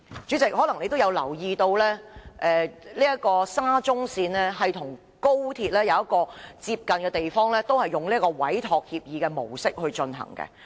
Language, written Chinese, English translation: Cantonese, 主席，你可能也有留意到，沙中線與高鐵的工程有一個類似的地方，兩者都是以委託協議的模式進行。, President you may also notice that there is a similarity between the projects of SCL and the Guangzhou - Shenzhen - Hong Kong Express Rail Link XRL . Both projects are carried out under entrustment agreements